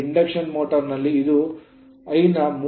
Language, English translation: Kannada, But in induction motor it will be maybe 30 to 50 percent this I 0